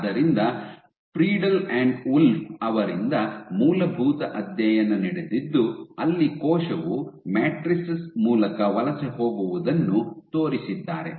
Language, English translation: Kannada, So, there has been seminal study by Friedl and Wolf and then they showed that when a cell migrate through matrices